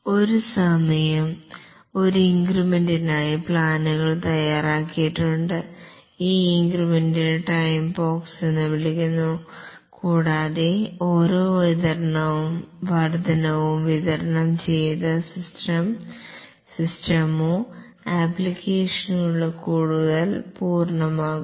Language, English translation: Malayalam, The plans are made for one increment at a time and this increment is called as a time box and after each increment is delivered the system or the application becomes more complete